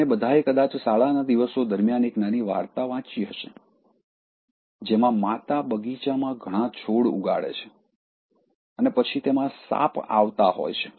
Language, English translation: Gujarati, We all might have read the small story during our school days, where the mother grows lot of plants in the garden and then snakes keep coming